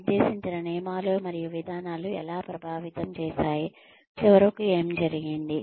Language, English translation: Telugu, How the rules and the procedures and the policies, that are laid down, influenced, what ultimately happened